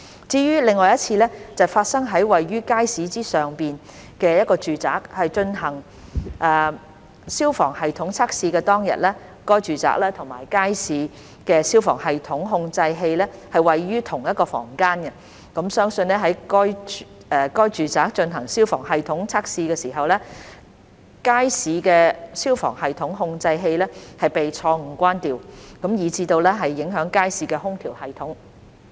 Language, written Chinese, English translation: Cantonese, 至於另一次是發生於位處街市之上的住宅進行消防系統測試當天；該住宅和街市的消防系統控制器位於同一房間，相信在該住宅進行消防系統測試時，街市的消防系統控制器被錯誤關掉，以致影響街市的空調系統。, The other occasion took place on the day of fire services system testing of the residential premises located above the Market . The controllers of the fire services systems of the residential premises and the Market were located in the same room . It was believed that the fire services system of the Market was turned off erroneously during the test of the fire services system of the residential premises and hence affecting the air - conditioning system of the Market